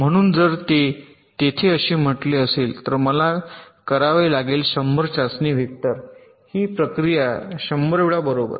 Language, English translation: Marathi, so if there are, say, hundred test vectors at to do this process hundred times right